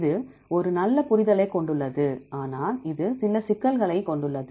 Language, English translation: Tamil, It has a good understanding, but it has some issues some disadvantages